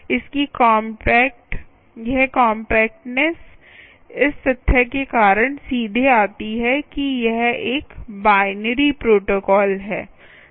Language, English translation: Hindi, that compactness comes directly because of the fact that it is a binary protocol